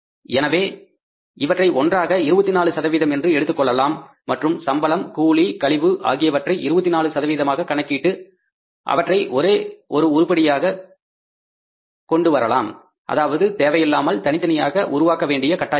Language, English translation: Tamil, So take it together 24% and put this item by calculating 24% of the salaries, wages and commission and put under the one item only so that we have not to miscreate the information which is unnecessarily created and not required